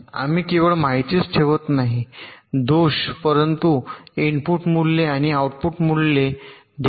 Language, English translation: Marathi, we keep information of not only the faults but also the input values and the output value